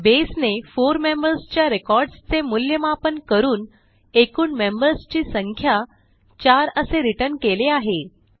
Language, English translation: Marathi, So here, Base has evaluated all the 4 members records and returned the number 4 which is the total count of members